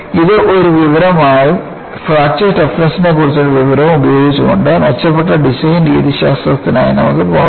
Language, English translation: Malayalam, Using that as an information and also the information on fracture toughness, we could go for improved design methodologies